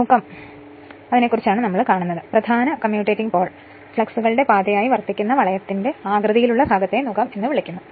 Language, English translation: Malayalam, The ring shaped portion which serves as the path of the main and the commutating pole your commutating pole fluxes is called the yoke right